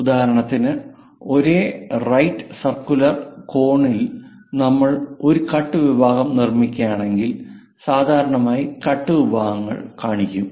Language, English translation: Malayalam, For example, for the same cone the right circular cone; if we are making a cut section, usually cut sections are shown